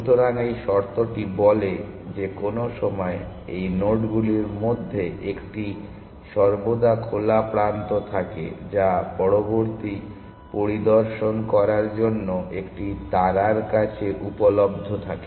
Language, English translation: Bengali, So, this condition says that at any time 1 of these nodes is always in the open which is available to a star to inspect next